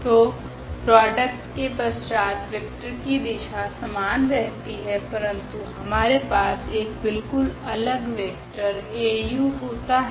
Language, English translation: Hindi, So, we do not have such relation that after multiplication the vector direction remains the same, we have a completely different vector now Au